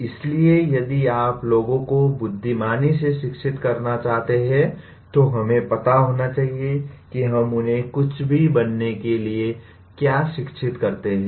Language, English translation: Hindi, So if you want to educate people wisely, we must know what we educate them to become